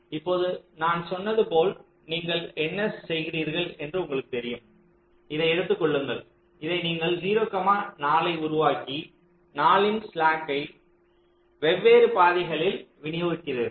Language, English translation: Tamil, as i said, let say you pick up this, you make this zero four and distribute this slack of four among the different paths